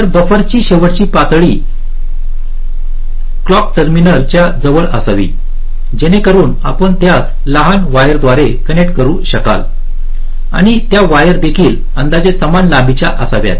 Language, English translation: Marathi, so the last level of buffers should be close to the clock terminals so that you can connect them by shorter wires, and those wires also should also be approximately equal in length